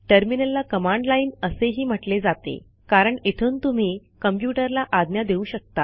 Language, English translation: Marathi, Terminal is called command line because you can command the computer from here